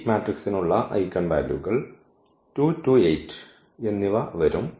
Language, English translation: Malayalam, So, the eigenvalues for this matrix will be coming 2 2 and 8